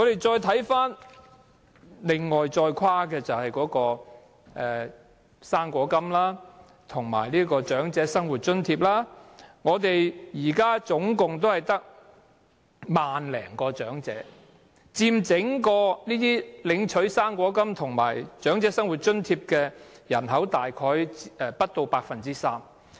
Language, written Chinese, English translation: Cantonese, 再看看跨境的"生果金"及長者生活津貼的申請人數，現時只有1萬多，佔整體領取"生果金"及長者生活津貼的人數大約不足 3%。, The number of applications for cross - boundary Fruit Money and Old Age Living Allowance now merely stands at over 10 000 making up less than 3 % of all recipients of Fruit Money and Old Age Living Allowance approximately